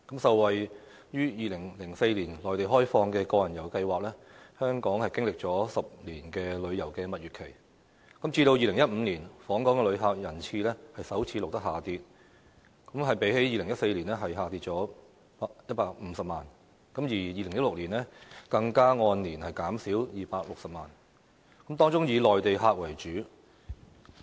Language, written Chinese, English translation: Cantonese, 受惠於2004年內地開放個人遊計劃，香港經歷了10年的旅遊蜜月期，直至2015年，訪港旅客人次首次錄得下跌，比2014年減少150萬，而2016年更按年減少260萬，當中以內地客為主。, Benefiting from the introduction of the Individual Visit Scheme by the Mainland in 2004 Hong Kong had enjoyed a 10 - year honeymoon period for tourism . In 2015 the number of visitor arrivals to Hong Kong recorded a drop for the first time a decrease of 1.5 million compared with 2014 and an annual decrease of 2.6 million was even recorded in 2016 . Most of such visitors were from the Mainland